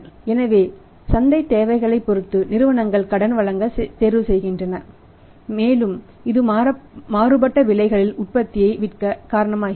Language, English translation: Tamil, So, depending upon the market requirements companies opts to give the credit and that is causing the selling the product of the varying prices